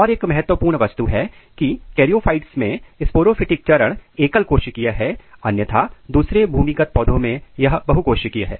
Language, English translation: Hindi, And one important thing is that in charyophytes the sporophytic stage is unicellular whereas, in all other land plants this is multicellular